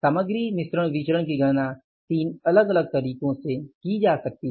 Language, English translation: Hindi, Material mix variance can be calculated in the three different ways